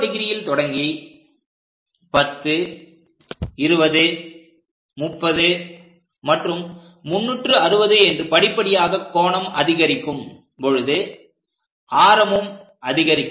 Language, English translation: Tamil, So, as I am going beginning from 0 degrees increases to 10, 20, 30 and so on 360 degrees, gradually the radius also increases